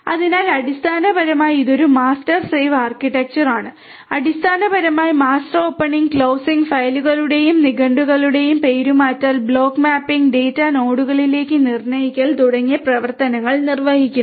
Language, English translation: Malayalam, So, basically it is a master slave architecture, where basically the master executes the operations like opening, closing, the renaming the files and dictionaries and determines the mapping of the blocks to the data nodes